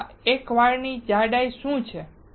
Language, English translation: Gujarati, What is thickness of our one hair